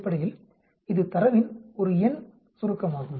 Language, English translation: Tamil, Basically, it is a one number summary of data